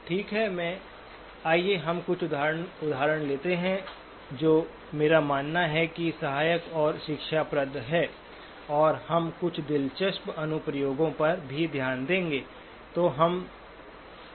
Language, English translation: Hindi, Okay, let us take a couple of examples which I believe are helpful and instructive and we will then look at some interesting applications as well